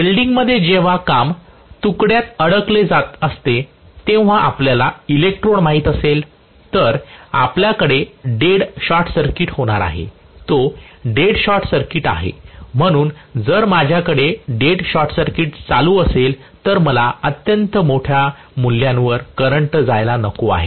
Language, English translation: Marathi, In welding in invariably when the work piece is getting stuck to you know the electrode, then we are going to have a dead short circuit, it is a dead short circuit, so if I am having dead short circuit still I do not want the current to go to extremely large values